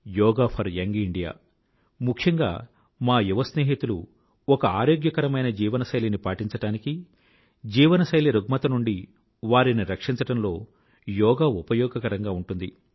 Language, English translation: Telugu, Yoga will be helpful for especially our young friends, in maintaining a healthy lifestyle and protecting them from lifestyle disorders